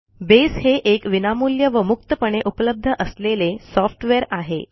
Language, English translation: Marathi, Base is free and open source software, free of cost and free to use and distribute